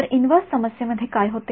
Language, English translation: Marathi, So, what happens in the inverse problem